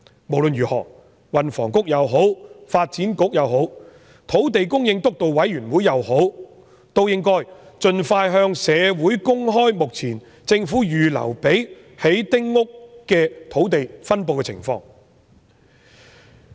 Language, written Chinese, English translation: Cantonese, 無論如何，運輸及房屋局、發展局或土地供應督導委員會都應該盡快向社會公開政府目前預留作興建丁屋的土地的分布情況。, Anyway the Transport and Housing Bureau the Development Bureau or the Steering Committee on Land Supply should expeditiously make public the distribution of the sites currently reserved for building small houses